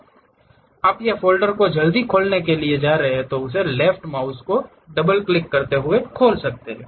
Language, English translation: Hindi, You double click that left mouse to quickly open a file or folder